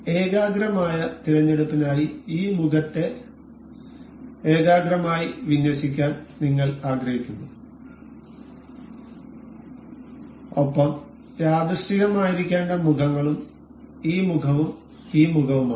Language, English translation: Malayalam, For concentric selection we wish to have this particular face to align with this face as concentric and the faces to be coincident are this face and this face